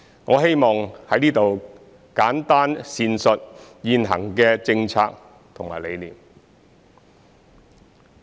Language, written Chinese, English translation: Cantonese, 我希望在此簡單闡述現行的政策和理念。, I wish to briefly explain the current policy and philosophy here